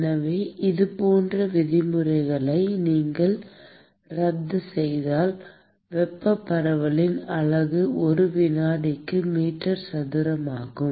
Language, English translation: Tamil, So, if you cancel out the like terms, the unit of thermal diffusivity is meter square per second